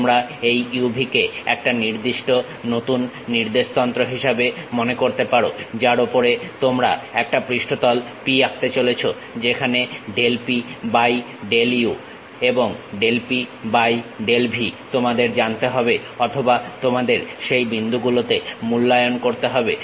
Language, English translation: Bengali, You can think of this u, v as the new coordinate system on which you are going to draw a surface P where del P by del u and del P by del v you need to know or you have to evaluate at that points